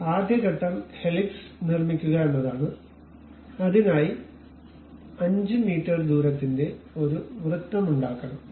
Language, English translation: Malayalam, So, the first step is to construct helix we have to make a circle of same 5 meters radius